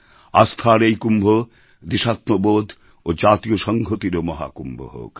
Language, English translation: Bengali, May this Kumbh of faith also become Mahakumbh of ofnationalism